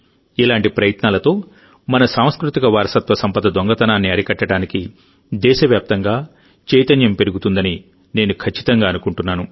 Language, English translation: Telugu, I am sure that with such efforts, awareness will increase across the country to stop the theft of our cultural heritage